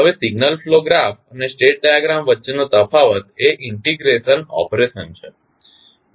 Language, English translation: Gujarati, Now, the difference between signal flow graph and state diagram is the integration operation